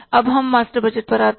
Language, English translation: Hindi, Now, we come to the master budget